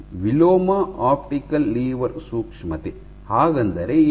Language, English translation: Kannada, So, inverse optical lever sensitivity; what is it